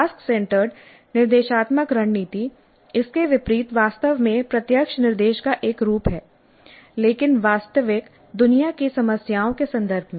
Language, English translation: Hindi, Task centered instructional strategy by contrast is actually a form of direct instruction but in the context of real world problems